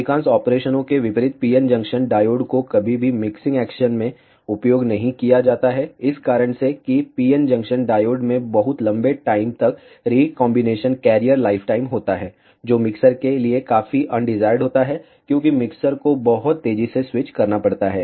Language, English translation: Hindi, Unlike in most of the operations a PN junction diode is never used in mixing action, ah for the reason that the PN junction diodes have very long recombination carrier lifetimes, which is quite undesired for mixers, because mixers have to be switched very fast